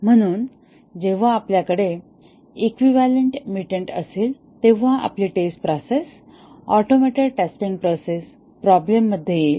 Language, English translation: Marathi, So, when we have equivalent mutant, our testing process, automated testing process will run into problem